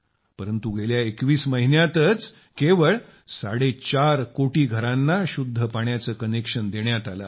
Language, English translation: Marathi, However, just in the last 21 months, four and a half crore houses have been given clean water connections